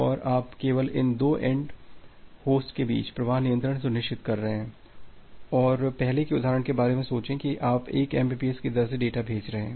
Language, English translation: Hindi, And you are only ensuring the flow control among these two end host and just think about the earlier example that you are sending data at a rate of 1 mbps